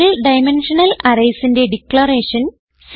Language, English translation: Malayalam, To declare Single Dimensional Arrays